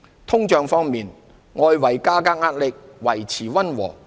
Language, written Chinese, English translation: Cantonese, 通脹方面，外圍價格壓力料維持溫和。, On inflation external price pressures are expected to remain modest